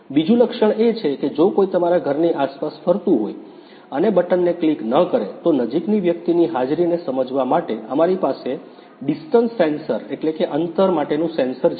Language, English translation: Gujarati, The second feature is even though if somebody is roaming around your house and not clicking the bell, we have a distance sensor to sense the presence of a person nearby